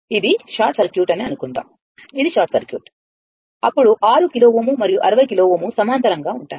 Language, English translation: Telugu, Suppose this is short circuit; this is short circuit right, then 6 kilo ohm and 60 kilo ohm are in parallel right